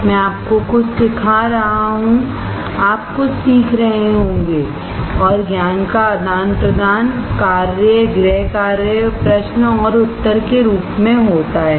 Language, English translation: Hindi, I will be teaching you something, you will be learning something, and exchange of knowledge happens in the form of assignments, home works, questions and answers